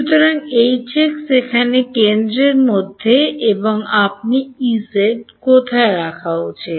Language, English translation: Bengali, So, H x is at the centre over here and where should you put E z